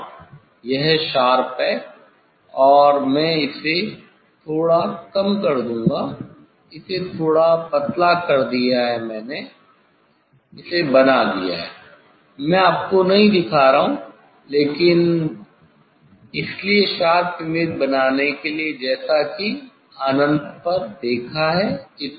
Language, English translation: Hindi, Yes, it is sharp, it is sharp, and I will reduce slightly, make it slightly thinner I have made it, I am not showing you, but so to make the sharp image as I have seen at infinity that distance one